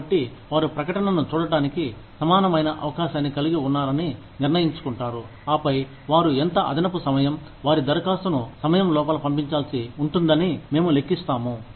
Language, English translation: Telugu, So, that they have an equal opportunity, to see the advertisement, decide, and then, we calculate, how much extra time, will they need, to send their application in